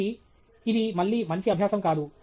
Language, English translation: Telugu, So, that’s again not a good practice